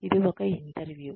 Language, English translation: Telugu, It is an interview